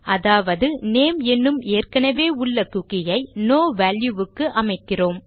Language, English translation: Tamil, So if I were to say set a cookie that already exists called name, to no value at all